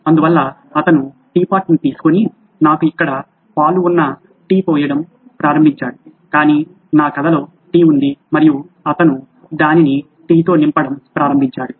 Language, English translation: Telugu, So he took the tea pot and started pouring tea I have milk here but in my story there was tea and he started filling it up with tea